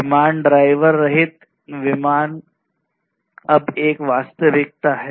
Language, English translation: Hindi, Aircrafts, driver less aircrafts are a reality now